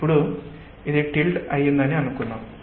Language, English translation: Telugu, now let us say that this is tilted